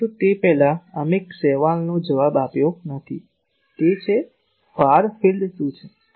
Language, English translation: Gujarati, But before that we have not answered one question that is; what is far field